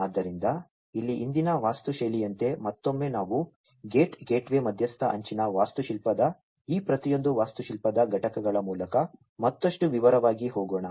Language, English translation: Kannada, So, like the previous architecture here again let us go through each of these architectural components of the gate gateway mediated edge architecture, in further detail